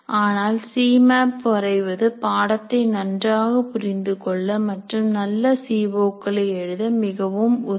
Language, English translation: Tamil, But drawing C Maps can greatly facilitate your understanding of the course and in writing good COs